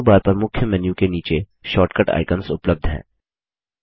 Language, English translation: Hindi, Short cut icons are available below the Main menu on the Menu bar